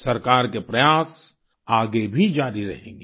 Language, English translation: Hindi, The efforts of the Government shall also continue in future